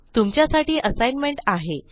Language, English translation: Marathi, Here is another assignment for you